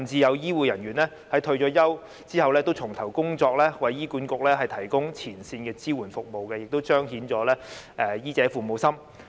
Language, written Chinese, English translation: Cantonese, 有醫護人員甚至在退休後重投工作，為醫院管理局提供前線的支援服務，亦彰顯了醫者父母心。, Some retired healthcare workers have even rejoined the hospitals to provide support services at the front line for the Hospital Authority HA demonstrating their kind - heartedness and compassion for patients